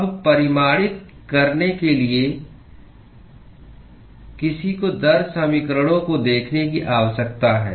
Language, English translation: Hindi, Now, in order to quantify, one need to look at the rate equations